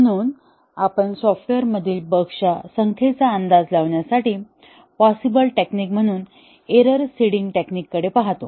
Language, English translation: Marathi, So, we looked at the error seeding technique, as a possible technique to estimate the number of bugs in the software